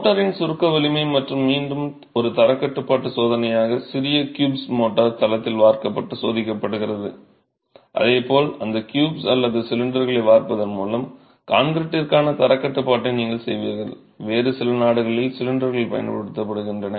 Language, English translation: Tamil, Okay, compressive strength of motor and again as a quality control test small cubes of motor are cast in the site and tested just as you would do quality control for concreting by casting those cubes or cylinders, cylinders in some other countries